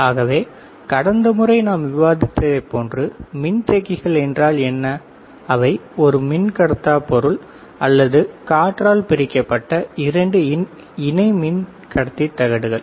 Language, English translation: Tamil, So, what are capacitors like we discussed last time, they are two parallel plates conducting plates separated by a dielectric material or air